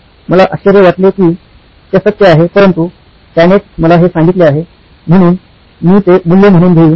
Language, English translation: Marathi, I wonder if that is the truth but that’s what he told me, so I will take it at face value